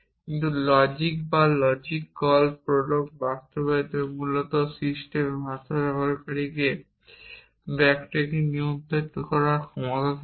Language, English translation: Bengali, But in a system like this in logic or the implementation of logic call prolog the language gives the user ability to control back tracking